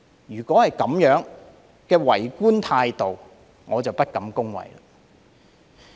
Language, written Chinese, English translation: Cantonese, 如是者，這種為官態度，我實在不敢恭維。, If this is the case I really do not have the slightest respect for the attitude of government officials